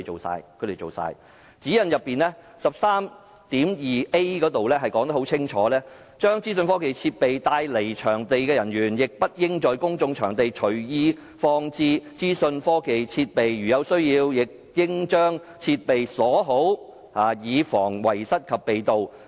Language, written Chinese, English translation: Cantonese, 上述指引第 13.2a 條很清楚訂明，"將資訊科技設備帶離場地的人員亦不應在公眾場所隨意放置資訊科技設備。如有需要，亦應將設備鎖好，以防遺失及被盜。, Article 13.2a of the Guidelines above clearly state Staff taking IT equipment off - site should also ensure that IT equipment is not left unattended in public places or is properly locked up when not attended to protect against loss and theft and shall not leave business possessions unattended without proper security measures